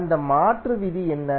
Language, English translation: Tamil, What is that conversion rule